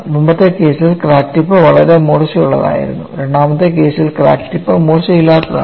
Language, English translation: Malayalam, In the earlier case, crack tip was very sharp; in the second case, the crack tip is blunt